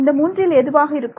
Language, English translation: Tamil, So, what will this be